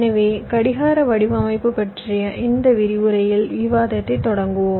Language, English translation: Tamil, ok, so we start our discussion in this lecture about clock design